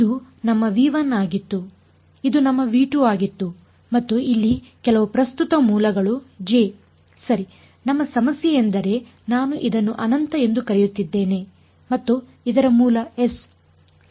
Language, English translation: Kannada, This was our V 1 this is our V 2 and some current source over here J right that is our problem I have call this as infinity and this was source s ok